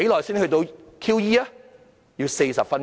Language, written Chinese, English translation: Cantonese, 主席，需要40分鐘。, President it took 40 minutes